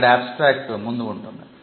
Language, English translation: Telugu, So, this is the abstract